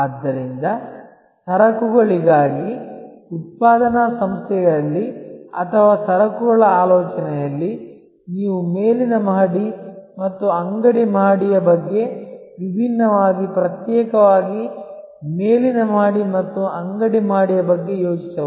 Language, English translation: Kannada, So, in a manufacturing organization for goods or in goods thinking, you can think about the top floor and the shop floor differently, separately top floor and the shop floor